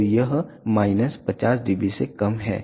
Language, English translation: Hindi, So, it is less than minus 50 dB